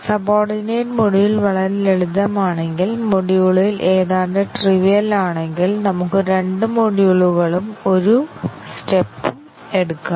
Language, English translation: Malayalam, And if the subordinate module is very simple, almost trivial in module then we might even take two modules and one step